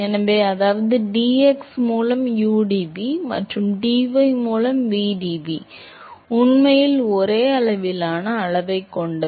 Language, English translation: Tamil, So, which means that udv by dx and vdv by dy are actually of same order of magnitude